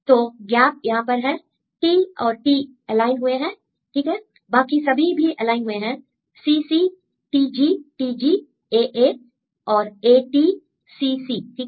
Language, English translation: Hindi, So, gap is here T and T are aligned right and then if you see all others are aligned CC TG TG AA and AT CC, right